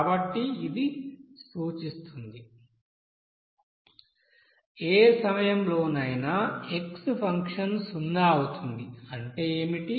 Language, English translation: Telugu, So we can consider here the value of x will be equals to 0